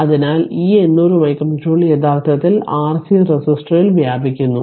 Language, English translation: Malayalam, So, this 800 micro joule actually dissipated in the your resistor